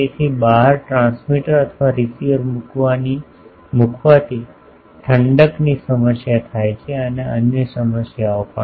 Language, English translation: Gujarati, So, putting a transmitter or receiver at the outside creates cooling problem and other problems also